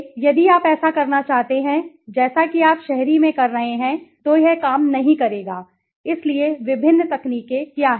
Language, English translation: Hindi, So, if you want to do is similarly as you were doing in the urban it would not work right, so what are the different techniques